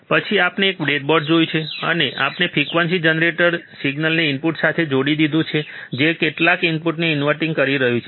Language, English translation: Gujarati, Then we have seen a breadboard, and we have connected the frequency generator the signal to the input which is inverting some input